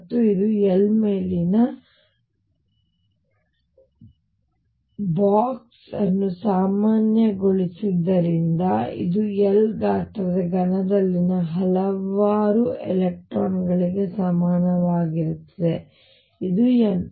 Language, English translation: Kannada, And this is since I have box normalized over L this is equal to a number of electrons in cube of size L which is n right